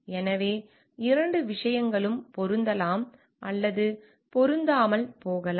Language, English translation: Tamil, So, like both things may or may not match